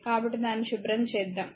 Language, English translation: Telugu, So, let me clean it